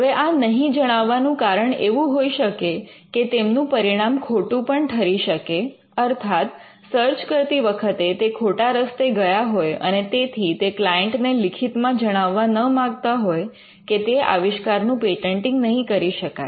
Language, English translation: Gujarati, Now, the reason why they do not communicate it is—one they could have been wrong the professionals while doing the search they could have been wrong and they do not want to give the client something in writing to say that this particular invention cannot be patented